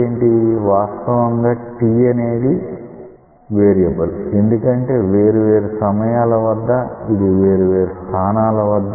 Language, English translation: Telugu, Here actually t is a variable parameter because at different time it will have different position